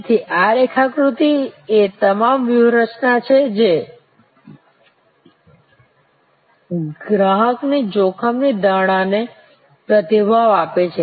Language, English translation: Gujarati, So, these block diagrams are all the strategies that respond to the customer's perception of risk